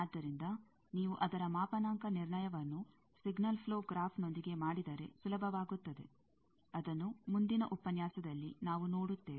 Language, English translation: Kannada, So, its calibration comes easier, if you do with signal flow graph; that we will see in the next lecture